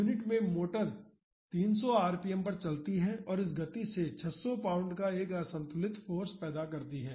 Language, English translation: Hindi, The motor in the unit runs at 300 rpm and produces an unbalanced force of 600 pounds at this speed